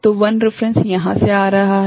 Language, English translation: Hindi, So, I reference is coming from here